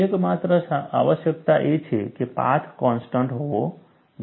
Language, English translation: Gujarati, The only requirement is the path should be continuous